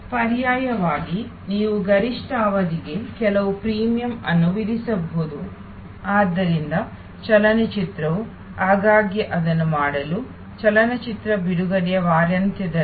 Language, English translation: Kannada, Alternately you can actually charge some premium for the peak period, so movie also often to do that, that the during the weekend of the release of the movie